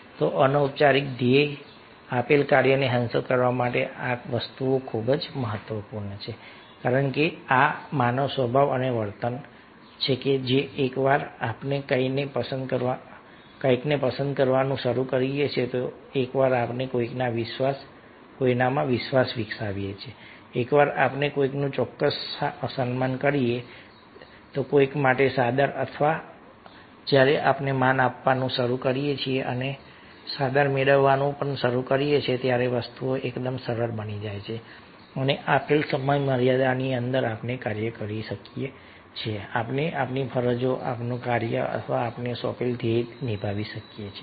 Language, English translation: Gujarati, so these things are very, very important to achieve the formal goal, the prescribed goal, the task given, because these this is the human nature and behavior that once we start liking somebody, once we develop trust in somebody, once we have, ah, certain respect, somebody regards for somebody, and when we start giving regard and also getting regards, then things become quite easier and within given time, within time frame, work we can do, we can perform our duties, our task, our goal assign to us